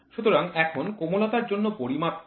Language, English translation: Bengali, So, now, what is the measure for the soft